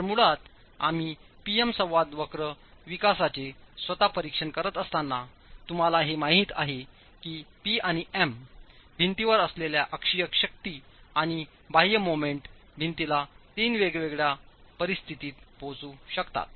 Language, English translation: Marathi, So basically as we've been examining with the PM interaction curve development itself, you know that there are broadly three possible conditions that the combination of P and M, the applied axial force and the external moment acting on the wall, can take the wall to in three different situations, three different conditions